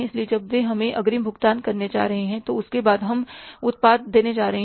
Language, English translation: Hindi, So when they are going to pay us in advance, after that we are going to deliver the product